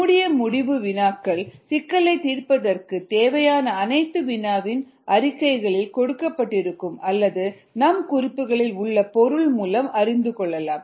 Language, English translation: Tamil, closed ended problems are problems in which everything that is needed for the solution of the problem is either given in the problem statement or is known through material in your notes and so on, so forth